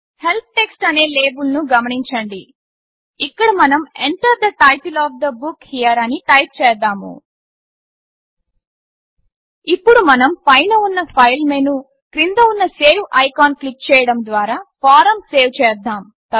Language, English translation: Telugu, Notice the label Help text and here, let us type in Enter the title of the book here Now, let us save the form by clicking on the Save icon below the File menu on the top